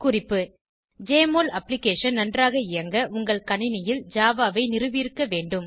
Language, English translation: Tamil, For Jmol Application to run smoothly, you should have Java installed on your system